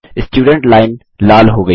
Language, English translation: Hindi, The Student Line has become red